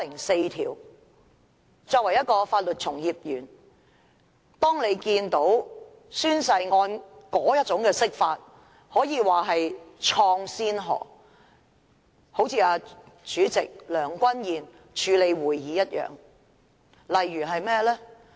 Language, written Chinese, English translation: Cantonese, 身為法律從業員，當你看到有關宣誓案作出的那種釋法，可以說是開創先河，好像主席梁君彥議員處理會議一樣。, As a legal practitioner I find that interpretation which was made because of the oath - taking case unprecedented just like the way President Andrew LEUNG handles the Council meetings